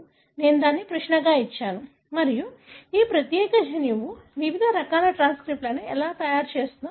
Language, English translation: Telugu, I have given that as a query and it gives you beautifully as to how this particular gene is making various different types of transcripts